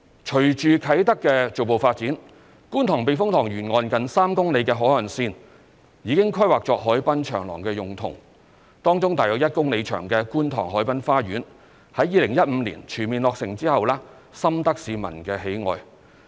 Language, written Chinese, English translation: Cantonese, 隨着啟德的逐步發展，觀塘避風塘沿岸近3公里的海岸線已經規劃作海濱長廊用途，當中約1公里長的觀塘海濱花園在2015年全面落成後深得市民喜愛。, Given the progressive development of Kai Tak the shoreline of some 3 km along the Kwun Tong Typhoon Shelter has been planned for use as a harbourfront promenade . As part of the development Kwun Tong Promenade which is about 1 km in length has been very popular with members of the public following its full commissioning in 2015